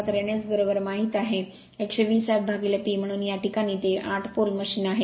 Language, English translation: Marathi, So, n S is equal to you know 120 f by P, so in this case it is 8 pole machine right